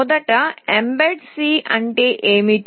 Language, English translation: Telugu, Firstly, what is Mbed C